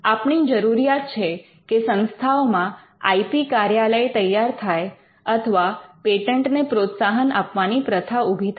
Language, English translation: Gujarati, Now, want institutions to have IP centres or to have a culture of promoting patents